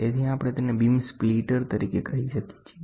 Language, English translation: Gujarati, So, or we can call it as a beam splitter